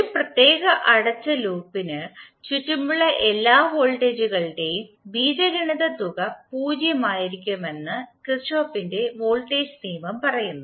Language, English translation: Malayalam, This Kirchhoff’s voltage law states that the algebraic sum of all the voltages around a particular closed loop would be 0